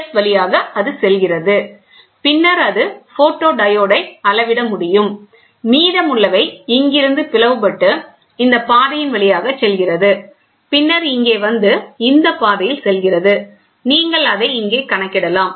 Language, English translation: Tamil, So, here is a beam splitting so, P S it goes and then it gets photodiode can be measured, and the rest you can see which get split from here goes through this path, then comes here, and then goes to this path and this you can get it counted here